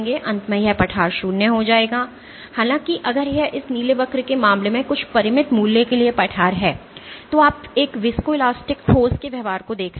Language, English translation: Hindi, At the end this will plateau to zero; however, if it plateaus to some finite value as is the case in this blue curve this is called a So, at the end you are observing the behaviour of a viscoelastic solid